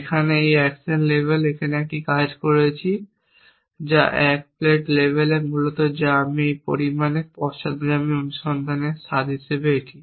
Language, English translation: Bengali, Here so we a working as the at the action level which the at 1 plat level essentially which is the I this as the flavor of backward search to some extent